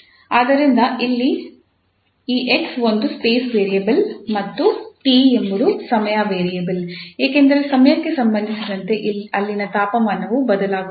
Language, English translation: Kannada, So here this x is a space variable and the t is the time variable because with respect to time the temperature there varies